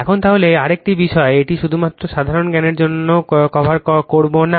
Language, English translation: Bengali, Now, then another thing this will not cover just for general knowledge